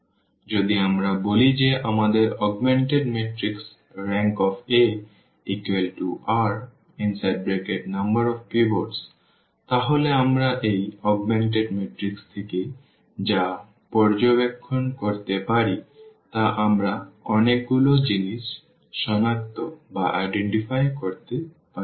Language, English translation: Bengali, So, if we say that the rank A is equal to this number r the number of pivots in our this augmented matrix then what we can observe from this augmented matrix we can identify so many things